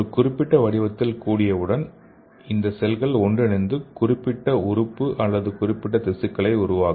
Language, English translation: Tamil, So once it should assemble in a particular shape, then these cells will fuse together and form the particular organ or the particular tissue